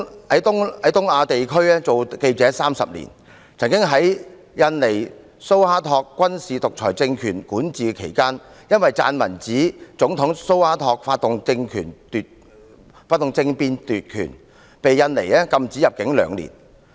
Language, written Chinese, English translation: Cantonese, Keith 在東亞地區當記者30年，曾在印尼蘇哈托軍事獨裁政權管治期間，撰文指總統蘇哈托發動政變奪權，被印尼禁止入境兩年。, Keith worked as a reporter in the East Asia for 30 years . During the period when military dictator SUHARTO ruled over Indonesia Keith wrote an article about President SUHARTO initiating a coup to usurp power . Consequently he was barred from entering Indonesia for two years